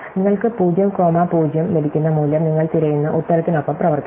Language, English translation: Malayalam, The value you get 0 comma 0 is acts with answer you are looking for